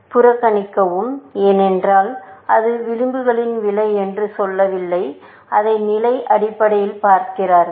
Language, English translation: Tamil, Ignore, because it does not say cost of the edges; it basically, sees it as level by level